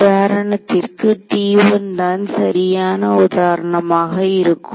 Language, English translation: Tamil, So, when I look at for example, T 1 right in this example